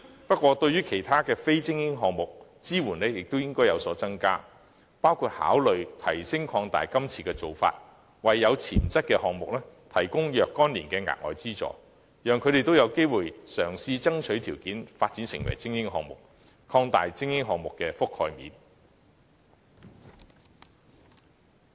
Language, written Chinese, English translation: Cantonese, 不過，我更樂見政府對其他非精英項目的支援亦應有所增加，包括考慮擴大資助範圍，為有潛質的項目提供若干年的額外資助，讓他們也有機會嘗試爭取條件，發展成為精英項目，從而擴大精英項目的覆蓋面。, Nevertheless I will be even more happy if the Government will also consider increasing its support in various forms for other non - elite games including widening the scope of funding providing additional funding within a particular time frame to games with development potential thereby offering them the opportunity to strive for attaining the status of elite sports . That way elite sports will have an enlarged coverage